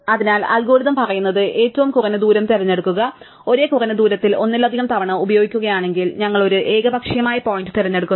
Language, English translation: Malayalam, So, the algorithm says choose the u such that distance which is minimum and if multiple use with the same minimum distance, we pick an arbitrary point